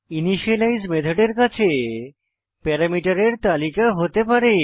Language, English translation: Bengali, An initialize method may take a list of parameters